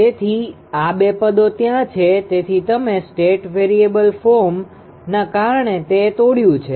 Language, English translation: Gujarati, So, these 2 terms are there; so, you have broken it right because of that state variable form